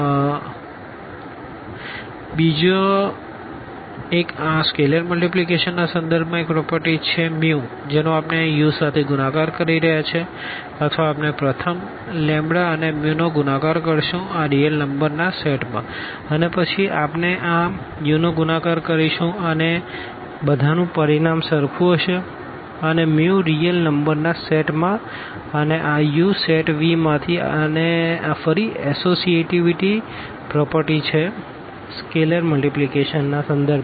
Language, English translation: Gujarati, The another one again this is a property with respect to this scalar multiplication that we are multiplying here mu with u or we first multiply lambda and mu in this set of real numbers and then we multiply to this u the result must be same for all lambda and mu from the set of real numbers and this u from the set V and this is again this associativity property with respect to this scalar multiplication